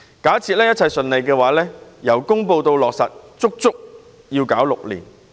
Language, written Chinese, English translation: Cantonese, 假設一切順利，方案由公布到落實需時整整6年。, Assuming everything goes smoothly the proposal from announcement to implementation would take six full years to materialize